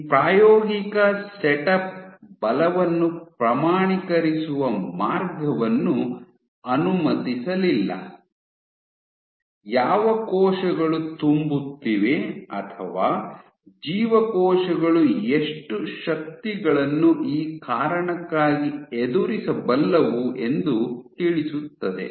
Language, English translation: Kannada, So, this experimental setup did not allow a way of quantifying the forces, which the cells were filling or how much forces the cells are capable of facing